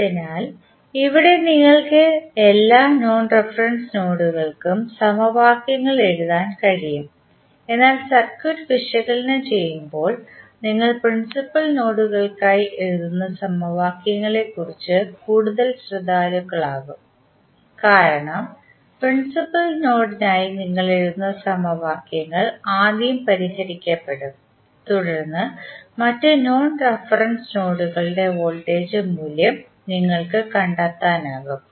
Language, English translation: Malayalam, So, here you can write equations for all the non reference nodes but while analyzing the circuit you would be more concerned about the equations you write for principal nodes because the equations which you write for principal node would be solved first then you can find the value of other non reference nodes voltage value